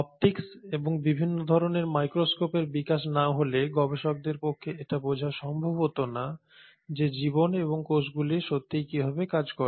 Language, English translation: Bengali, Had it not been for the optics and development of different kinds of microscopes, it would not have been possible for researchers to understand how life really works and how the cells really work